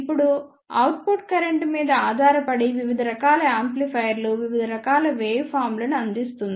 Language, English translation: Telugu, Now, depending upon the output current the various type of amplifiers provides various types of waveform